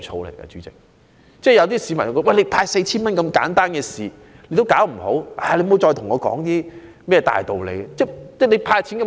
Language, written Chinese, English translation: Cantonese, 有些市民感到當局連派發 4,000 元這麼簡單的事也做不好，還說甚麼其他大道理呢？, Some members of the public are of the view that as the Government cannot even do its job well when handling such a simple exercise of handing out 4,000 what else can we expect of the Administration?